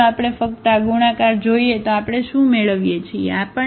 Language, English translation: Gujarati, Now if we just look at this multiplication what we are getting